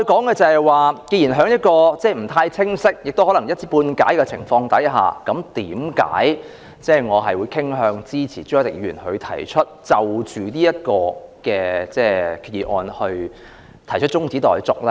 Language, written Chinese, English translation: Cantonese, 既然在不太了解亦可能是一知半解的情況下，為何我仍然傾向支持朱凱廸議員就這項決議案提出的中止待續議案呢？, Why am I still inclined to support Mr CHU Hoi - dicks motion to adjourn the debate on the proposed resolution even though people know very little or have only scanty knowledge of it?